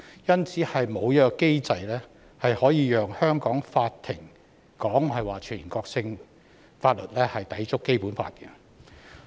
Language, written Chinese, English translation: Cantonese, 因此，沒有機制可以讓香港法庭裁定全國性法律抵觸《基本法》。, Therefore there is no mechanism allowing Hong Kong courts to rule that national laws contravene the Basic Law